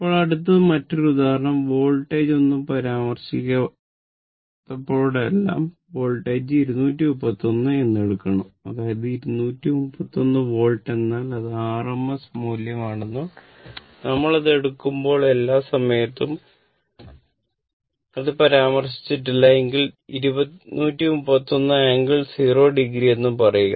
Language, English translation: Malayalam, Now, next another example, this example is that you have a that you have a 231 whenever nothing is mentioned; that means, 231 Volt means it is RMS value and all the time we assume it is angle say unless and until it is specified say 231 angle, 0 degree right and another thing is the load is given 0